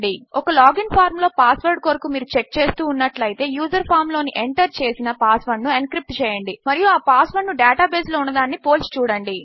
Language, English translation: Telugu, If your checking in a log in form for a password, encrypt the password the users entered in the log in form and check that to the encrypted password at the data base